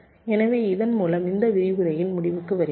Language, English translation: Tamil, so with this we come to the end of this lecture